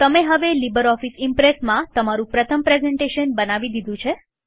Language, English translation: Gujarati, You have now created your first presentation in LibreOffice Impress